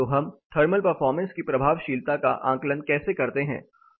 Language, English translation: Hindi, So, how do we assess the effectiveness of thermal performance